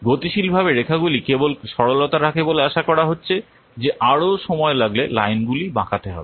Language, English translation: Bengali, Dynamically the lines are just what keeping on bending as it is expected that this will take more time the lines are being banded